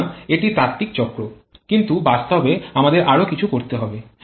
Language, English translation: Bengali, So, this is the theoretical cycle but in reality we have to do something else